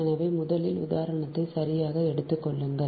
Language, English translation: Tamil, so first take the example one right